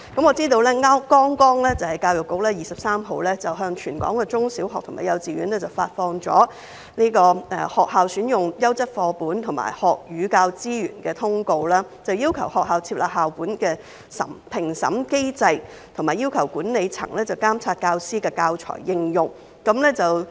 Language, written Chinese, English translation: Cantonese, 我知道教育局剛剛在本月23日向全港中小學及幼稚園發出"學校選用優質課本和學與教資源"的通函，要求學校設立校本評審機制，以及要求管理層監察教師的教材應用。, I know that EDB just issued a circular on Selection of Quality Textbooks and Learning and Teaching Resources for Use in Schools to all secondary schools primary schools and kindergartens in Hong Kong on the 23 of this month requesting schools to set up a review mechanism for school - based teaching materials and asking the management to monitor the use of teaching materials by teachers